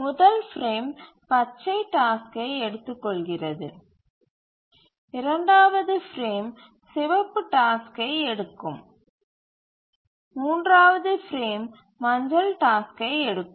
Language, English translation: Tamil, So, first frame it took up the green task, the second frame the red task, third frame, yellow task and so on